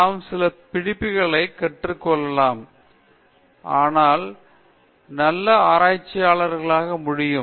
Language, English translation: Tamil, Can we learn some lessons, so that we can become better researchers